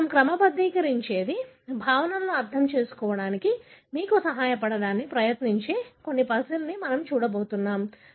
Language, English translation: Telugu, This is what we sort of, we are going to look at some puzzle that would try to sort of help you to understand the concepts